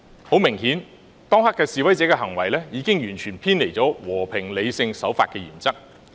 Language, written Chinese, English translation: Cantonese, 很明顯，當時示威者的行為已經完全偏離了和平、理性、守法的原則。, Obviously at that time the protesters conduct had completely departed from the principle of peace rationality and observing the law